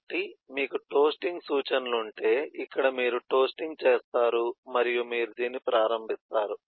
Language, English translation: Telugu, so in this, if you have eh the instruction to perform toasting, then this is where toasting, do toasting and start on this